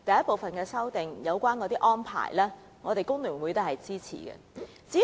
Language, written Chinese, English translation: Cantonese, 第一組修正案的相關安排，我們工聯會是支持的。, The Hong Kong Federation of Trade Unions FTU will support the arrangements set out in the first group of amendments